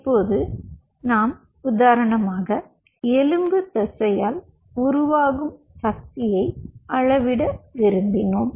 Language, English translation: Tamil, we wanted to measure the force generated by skeletal muscle